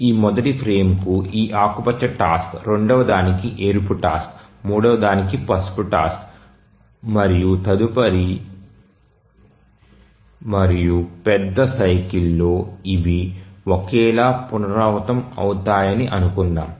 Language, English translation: Telugu, In the major cycle the tasks are assigned to frames let's say this green task to this first frame, a red one to the second, yellow one to the third and so on, and in the next major cycle they are repeated identically